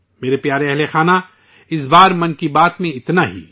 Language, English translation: Urdu, My dear family members, that's all this time in 'Mann Ki Baat'